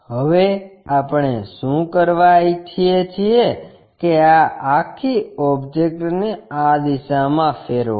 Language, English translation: Gujarati, Now, what we want to do is rotate this entire object in this direction